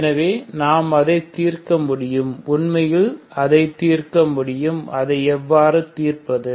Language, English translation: Tamil, So we can solve it actually we can solve it, how do we solve it